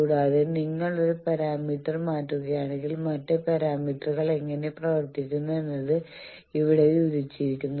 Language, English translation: Malayalam, And also if you change a parameter how the other parameters are behaved that is described here